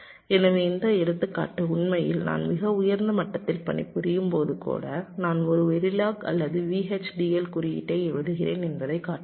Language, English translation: Tamil, so this example actually shows that even when i am working at a much higher level, i am writing a very log or v, h, d, l code